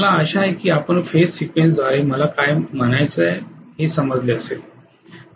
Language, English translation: Marathi, I hope you understand what I mean by phase sequence